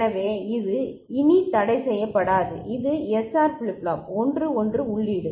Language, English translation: Tamil, So, this is no more forbidden which was the case for SR flip flop the 1 1 input